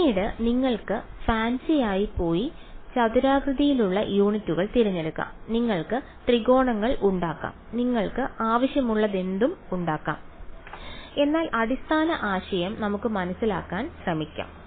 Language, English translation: Malayalam, Later on you can go become fancy and choose non rectangular units you can make triangles you can make whatever you want, but the basic idea let us try to understand